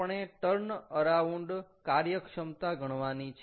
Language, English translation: Gujarati, we have to calculate the turnaround efficiency